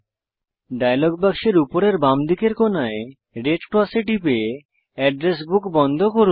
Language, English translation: Bengali, Close the Address Book by clicking on the red cross on the top left corner of the dialog box